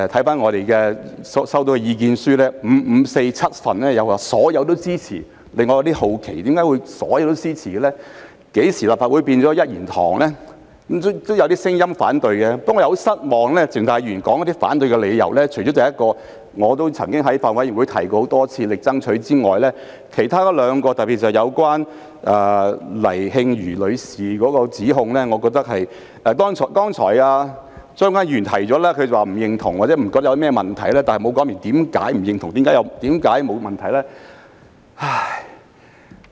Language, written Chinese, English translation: Cantonese, 不過，我感到非常失望的是，鄭松泰議員提出反對的理由，除了我在法案委員會上多次提出和極力爭取的一點外，其餘兩點，特別是有關黎穎瑜女士的指控，我認為......剛才張國鈞議員表示不認同或認為沒有問題，但他沒有說明為何不認同、為何沒有問題。, However I am very disappointed with the reasons for opposition given by Dr CHENG Chung - tai . Apart from the point that I have repeatedly raised and strived for in the Bills Committee the other two points especially the allegations concerning Ms Jade LAI I think It is fine for Mr CHEUNG Kwok - kwan to express disagreement or consider it no big deal but he has not explained why he disagrees or considers it no big deal